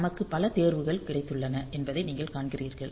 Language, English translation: Tamil, So, you see that we have got many choices